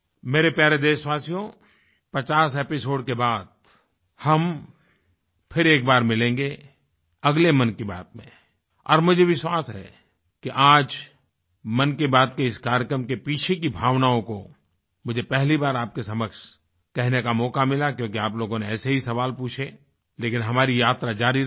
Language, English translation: Hindi, My dear countrymen, we shall meet once again in the next episode after this 50th episode of Mann Ki Baat and I am sure that in this episode of Mann Ki Baat today I got an opportunity for the first time to talk to you about the spirit behind this programme because of your questions